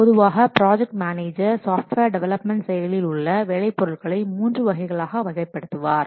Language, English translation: Tamil, So, the project managers normally they classify the work products associated with a software development process into three main categories